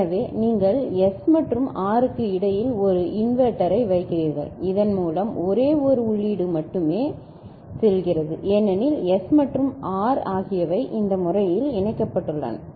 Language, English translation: Tamil, So, you put an inverter between S and R by which these there becomes only one input to it because S and R are connected in this manner ok